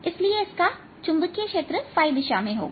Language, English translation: Hindi, so this has a magnetic field going in the phi direction